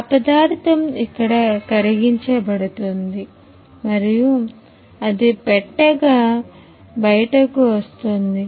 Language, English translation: Telugu, That material is melted here and it comes out as a box